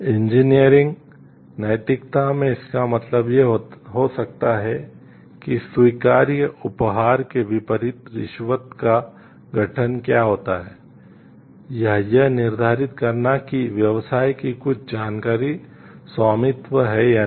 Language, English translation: Hindi, In engineering ethics this might mean defining what constitutes a bribe as opposed to acceptable gift, or determining whether certain business information is proprietary